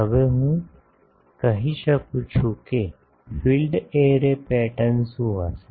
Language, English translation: Gujarati, Now, can I say that the field array pattern will be what